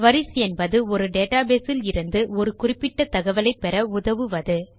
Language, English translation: Tamil, A Query can be used to get specific information from a database